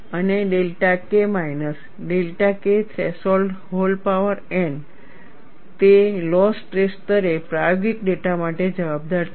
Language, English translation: Gujarati, And delta K minus delta K threshold whole power whole power n it accounts for experimental data at low stress levels